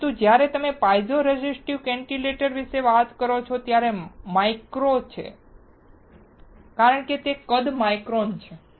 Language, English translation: Gujarati, Now, but when you talk about piezo resistive cantilevers (Refer Time: 48:53)it is micro because the size is microns